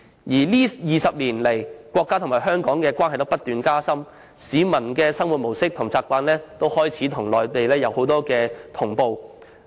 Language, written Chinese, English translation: Cantonese, 在這20年來，國家與香港的關係不斷加深，市民的生活模式和習慣也開始與內地同步。, Over the past 20 years the relationship between the country and Hong Kong has been incessantly deepening and the lifestyle and habits of Hong Kong people have also started to resemble those on the Mainland